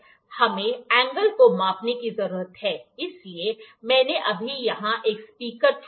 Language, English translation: Hindi, We need to measure the angle of so this is I have just picked a speaker here